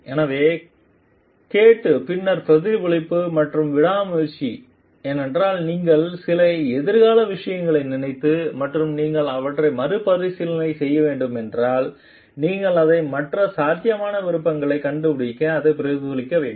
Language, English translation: Tamil, So, listening then reflective and persevering because, if you are thinking of certain future things and you need to rethink about it then you have to reflect on it to find out the other possible options for it